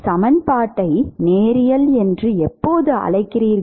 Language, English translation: Tamil, When do you call an equation linear